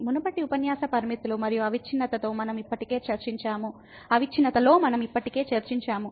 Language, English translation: Telugu, We have already discussed in the previous lecture Limits and Continuity